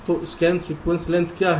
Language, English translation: Hindi, so what is scan sequence length